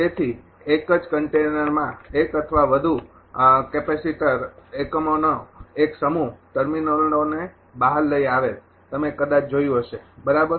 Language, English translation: Gujarati, So, an assembly of one or more capacitor elements in a single container with terminals brought out this also you might have seen right